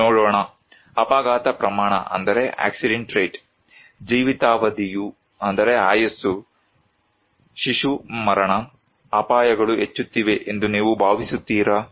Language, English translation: Kannada, Let us look; accident rate, life expectancy, infant mortality what do you think dangers is increasing